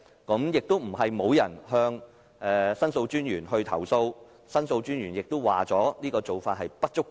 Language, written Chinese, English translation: Cantonese, 過去不是沒有人向申訴專員投訴，申訴專員也表示這做法並不足夠。, It is not the case that no complaint has been lodged to The Ombudsman before and The Ombudsman also questioned the adequacy of the current practice